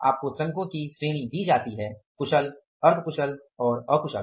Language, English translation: Hindi, You are given the category of workers skilled, semi skilled and unskilled